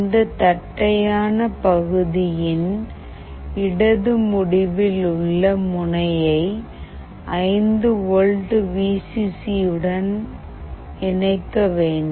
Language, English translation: Tamil, The flat end of this the left pin should be connected to 5 volt Vcc